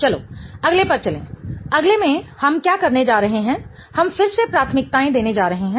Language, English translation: Hindi, In the next one what we are going to do is we are going to again assign priorities